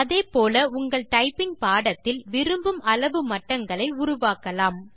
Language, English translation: Tamil, Similarly you can create as many levels as you want in your typing lesson